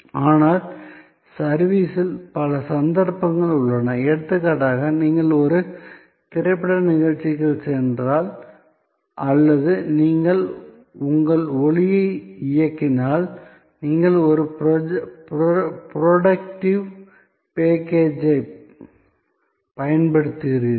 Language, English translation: Tamil, But, in service, there are number of occasions, for example, if you go to a movie show or you switch on your light, you are using a productive package